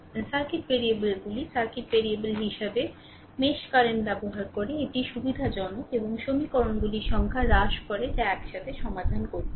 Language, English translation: Bengali, As the circuits variables using mesh current as circuit variables it is convenient and reduces the number of equations that must be solved simultaneously